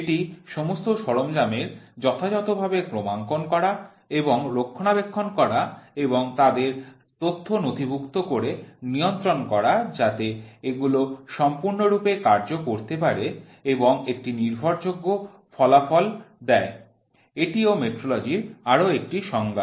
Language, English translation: Bengali, It is the documented control that all equipments is suitably calibrated and maintained in order to perform it is function and give reliable results is also the definition for metrology